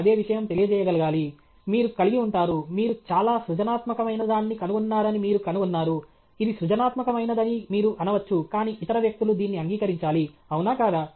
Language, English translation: Telugu, Same thing, you would have, you figure out that you have invented something which is highly creative; you may say it is creative creative, but other people have to accept it, isn’t it